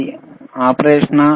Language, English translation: Telugu, Is it operation